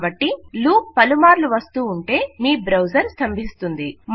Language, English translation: Telugu, So since the loop will always be repeated, your browser will crash